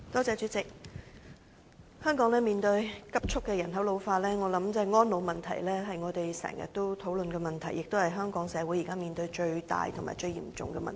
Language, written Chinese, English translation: Cantonese, 主席，香港人口正急速老化，因此我認為我們經常討論的安老問題，是香港社會現時所面對最大及最嚴重的問題。, President given that the population in Hong Kong has been ageing rapidly to care for the elderly has become the biggest and most serious social issue facing Hong Kong